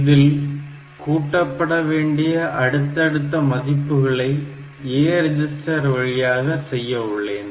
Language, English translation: Tamil, Then I have to add this successive values to the A register